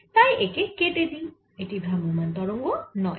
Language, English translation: Bengali, so this is not a travelling wave